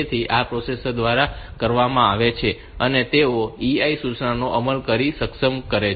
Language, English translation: Gujarati, So, this is done by the processor and they are enabled by executing the EI instruction